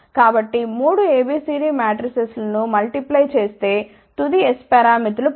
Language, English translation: Telugu, So, multiply the 3 A B C D matrices get the final S parameters ok